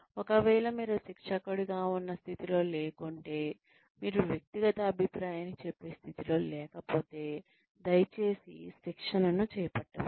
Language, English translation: Telugu, If, you are not in a position as a trainer, if you are not in a position to give individual feedback, please do not undertake training